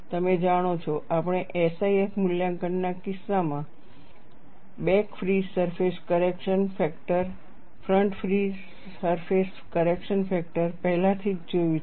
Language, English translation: Gujarati, You know, we have already seen, in the case of SIF evaluation, back free surface correction factor, front free surface correction factor